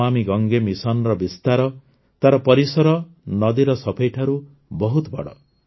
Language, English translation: Odia, Obviously, the spread of the 'Namami Gange' mission, its scope, has increased much more than the cleaning of the river